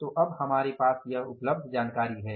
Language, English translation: Hindi, So now this is the information available with us